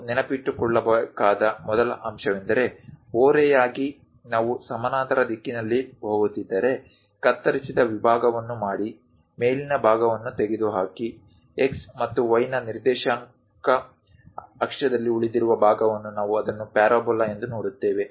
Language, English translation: Kannada, The first point what we have to remember is, from slant if we are going in a parallel direction, make a cut section, remove; the top portion the leftover portion on coordinate axis of x and y we see it as parabola